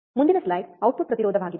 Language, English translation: Kannada, The next slide is a output impedance